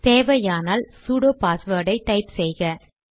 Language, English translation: Tamil, Enter the sudo password if required